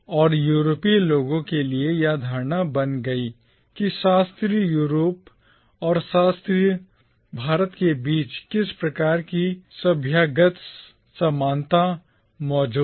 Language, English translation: Hindi, And for the Europeans this led to the assumption that some kind of civilizational affinity existed between classical Europe and classical India